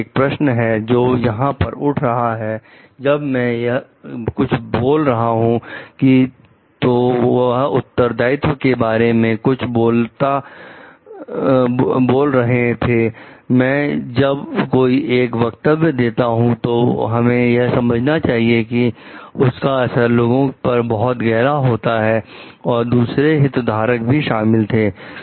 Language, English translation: Hindi, So, these will be the questions that will be coming over here, because that talks of the responsibility at when I am uttering something, when I am making a statement we have to understand it really has a great impact on the public at large, and also on the like other stakeholders involved